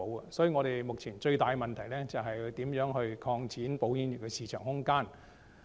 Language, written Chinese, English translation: Cantonese, 所以，香港保險業目前最大的問題是如何擴展保險業的市場空間。, Therefore the biggest problem facing the industry is how to expand its market space